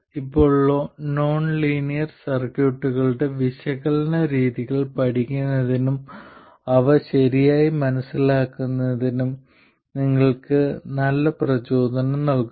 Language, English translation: Malayalam, Now this also gives you a very good motivation for studying analysis methods of nonlinear circuits and understand them properly and so on